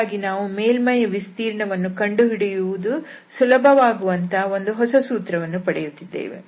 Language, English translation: Kannada, So, we are forming a new formula where we can simply use to get the surface area so, that is the relation here